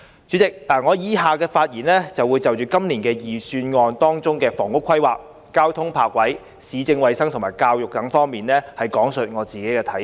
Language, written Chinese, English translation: Cantonese, 主席，以下發言我會就今年預算案的房屋規劃、交通泊車設施、市政衞生和教育等方面講述自己的看法。, President in the following speech I will express my own perspectives on housing planning transport and parking facilities municipal services and health as well as education in the Budget this year